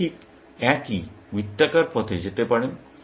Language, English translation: Bengali, You could just go round the same path